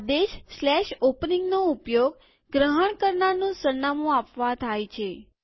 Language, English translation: Gujarati, The command slash opening is used to address the recipient